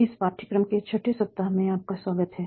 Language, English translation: Hindi, So, welcome back for the 6 week of this course